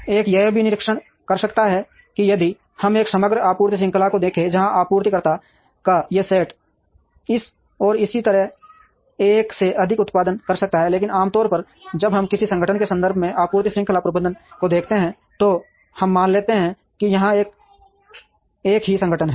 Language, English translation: Hindi, One can also observe that if we look at a overall supply chain, where these set of supplier may even be producing to more than one in this and so on; but ordinarily when we look at supply chain management, from the context of an organization, then we assume that there is a single organization here